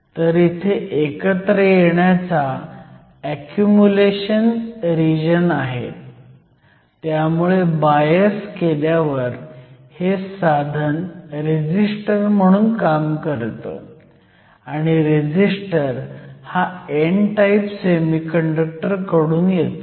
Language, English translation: Marathi, Now, because you have an accumulation region, the behavior of this device under a bias basically acts as a resistor and the resistance is given by the n type semiconductor